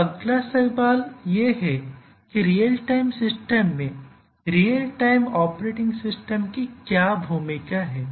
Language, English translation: Hindi, So, the next question is that what is the role of the real time operating system in these real time systems